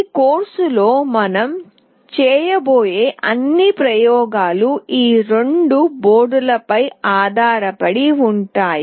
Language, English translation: Telugu, All the experiments that we will be doing in this course will be based on these two boards